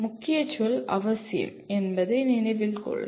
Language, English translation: Tamil, Please note that the key word is essential